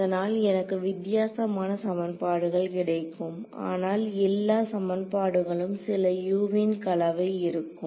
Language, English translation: Tamil, So, I will get different equations, but all equations will have some combination of this Us now